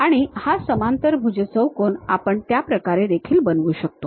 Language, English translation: Marathi, And, this parallelogram we can use in that way also